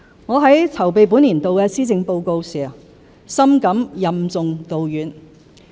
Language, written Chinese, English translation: Cantonese, 我在籌備本年度的施政報告時，深感任重道遠。, In preparing for this years Policy Address I deeply felt that I was charged with a heavy responsibility